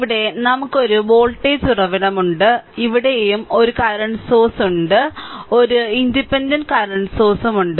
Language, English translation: Malayalam, With this let me clear it and of course, here you have a one voltage source here and here you have 1 current source here also you have one independent current source right